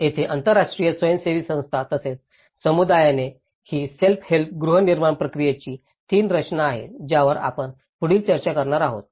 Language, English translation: Marathi, Here, an international NGO plus the community so, this is the three compositions of the self help housing process which we will be discussing further